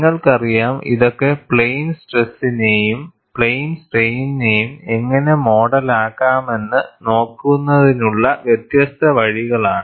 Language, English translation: Malayalam, You know, these are different ways of looking at, how to model it as plane stress, or, as well as plane strain